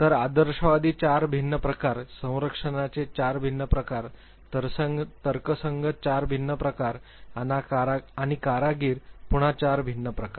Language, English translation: Marathi, So, idealist 4 different types, guardian’s 4 different types, rational 4 difference types and artisans again 4 difference types